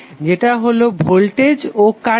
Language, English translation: Bengali, That is voltage and current